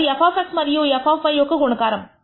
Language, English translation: Telugu, That is f of x into f of y